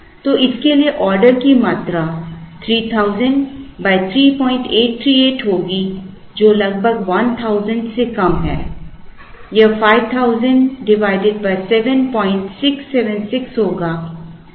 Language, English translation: Hindi, So, the order quantity for this will be 3000 divided by 3